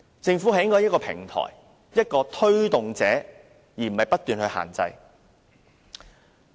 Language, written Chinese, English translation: Cantonese, 政府理應提供一個平台，作為推動者，而不是不斷作出限制。, The Government should provide a platform to promote new ideas rather than impose restrictions